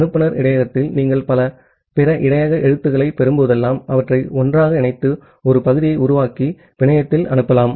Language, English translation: Tamil, Whenever you are getting multiple other buffer characters in the sender buffer, you can combine them together, construct a single segment and send it over the network